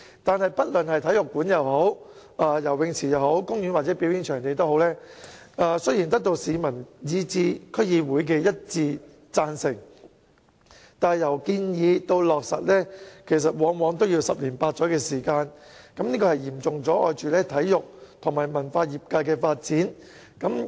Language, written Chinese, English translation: Cantonese, 可是，不論是體育館、游泳池、公園或表演場地，雖然得到市民以至區議會的一致贊成，但由建議至落實往往需要十年八載，會嚴重阻礙體育與文化業界的發展。, However despite the unanimous support from the public and the District Council for the proposed construction of sports centres swimming pools parks or performance venues it will usually take eight to 10 years for a proposal to get off the ground thus severely affecting the development of the sports and cultural sectors